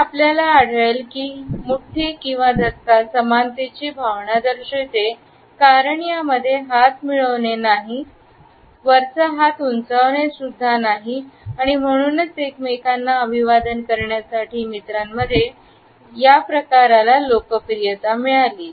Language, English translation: Marathi, So, you would find that the fist bump indicates a sense of equality, because in this unlike the handshake neither bumper has the upper hand and therefore, it has gained popularity among friends to greet each other